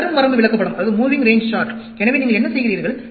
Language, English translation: Tamil, Moving range chart, so, what you do